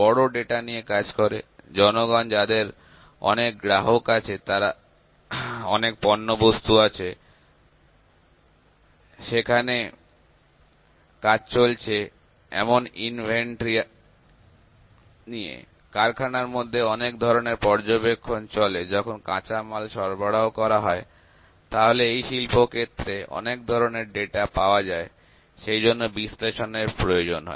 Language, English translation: Bengali, Dealing with big data people having so many customers are there, so many products are there, they there are work in progress inventory, there are the various inspection that happens in within factory during raw material, during delivery all those things are so, much of data available in the industry, so, analytics is there